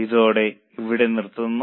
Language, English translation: Malayalam, With this we'll stop here